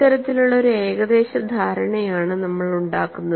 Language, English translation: Malayalam, This is the kind of approximation that we make